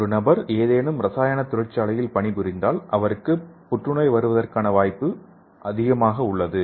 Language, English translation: Tamil, So if a person is working in some chemical industry he has high chance for getting the cancer